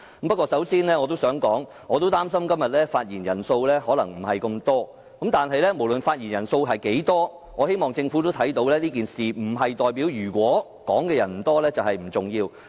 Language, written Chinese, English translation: Cantonese, 不過，我要先指出，我也擔心今天的發言人數可能不多，但無論發言人數多寡，也希望政府明白即使發言人數不多，並不代表這宗事件不重要。, But I must first express my worry that the number of Members who speak today may not be very large . However regardless of how large or how small the number may be I still hope the Government can understand that even if the number is not very large it should not take it to mean that this incident is insignificant